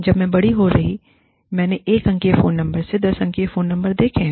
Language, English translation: Hindi, When i was growing up, I have seen phone numbers, from 1 digit phone number to 10 digit phone numbers